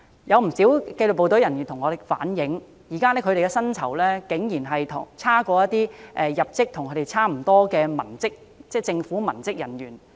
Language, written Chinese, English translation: Cantonese, 有不少紀律部隊人員向我們反映，現時他們的薪酬竟然差過入職學歷要求相若的政府文職人員。, Many disciplined services personnel tell us that their salaries are lower than that of government civilian staff with similar entry academic qualifications